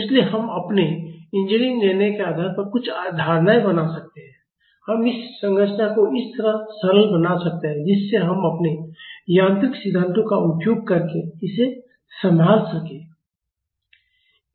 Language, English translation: Hindi, So, we can make some assumptions based on our engineering judgment we can simplify this structure in a way which we can handle it using our mechanical principles